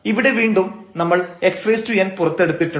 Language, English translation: Malayalam, Here a n and x n we have taken out